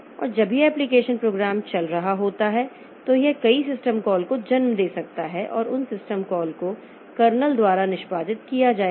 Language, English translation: Hindi, And when this application program is running, it may in turn give rise to number of system calls and those system calls will be executed by the candle